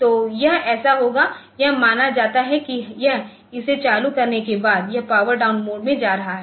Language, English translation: Hindi, So, it will so, it is assumed that it will be after turning it on so, it is going to power down mode